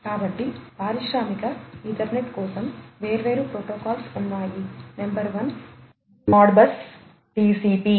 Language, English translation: Telugu, So, for the industrial Ethernet there are different protocols that are there, number one is the Modbus TCP